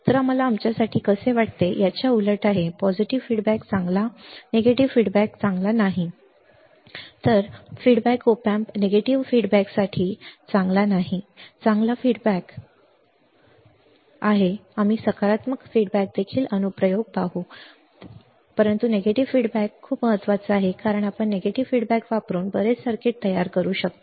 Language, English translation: Marathi, So, it is kind of a the opposite to how we feel for us positive feedback is good negative feedback is not good negative feedback is not for op amp negative feedback is good positive feedback is we will see the application on positive feedback as well, right, but negative feedback is very important because we can create lot of circuits using negative feedback right